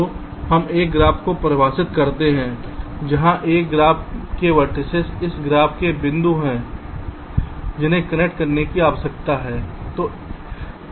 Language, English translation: Hindi, so we define a graph where the vertices of a graph of this graph are the points that need to be connected